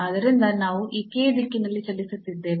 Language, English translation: Kannada, So, this k we are moving in the direction of